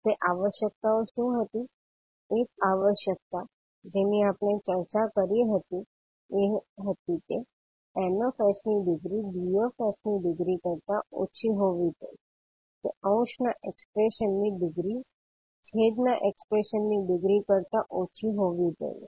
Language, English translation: Gujarati, What was those requirements, one requirement, which we discuss was the degree of Ns must be less than the degree of Ds, that is degree of numerator expression should be less than the degree of expression in denominator